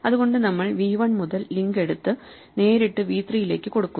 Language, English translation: Malayalam, So, we take the link from v 1 and make it directly point to v 3